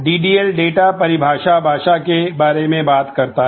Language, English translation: Hindi, DDL talks about data definition language